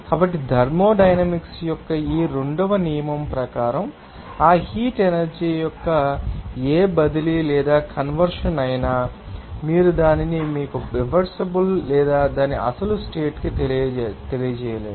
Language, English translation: Telugu, So, we can say that, according to these second law of thermodynamics, that whatever transfer or conversion of that heat energy will be there, you cannot make it to you know, reversible or to its original state